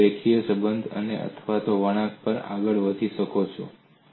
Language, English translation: Gujarati, It is a linear relationship or it could also move in a curve